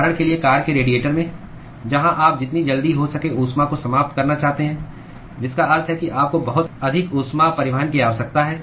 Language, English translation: Hindi, For example in the radiators in car, where you want to dissipate the heat as soon as possible which means you need to have a very high heat transport